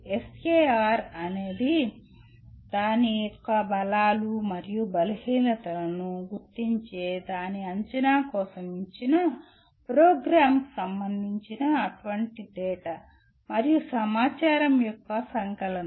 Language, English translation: Telugu, SAR is a compilation of such data and information pertaining to a given program for its assessment identifying its strengths and weaknesses